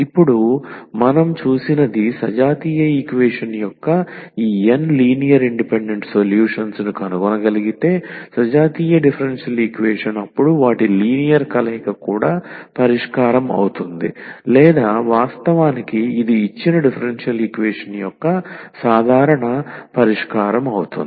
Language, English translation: Telugu, So, with this now what we have seen that if we can find these n linearly independent solutions of the homogenous equation; homogeneous differential equation then just their linear combination will be also the solution of or in fact, it will be the general solution of the given differential equation